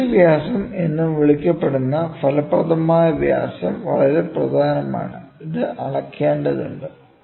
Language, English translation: Malayalam, The effective diameter, which is otherwise called as the pitch diameter is very important and this has to be measured